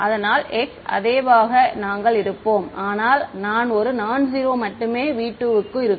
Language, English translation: Tamil, So, the chi we will remain the same its a its nonzero only in v 2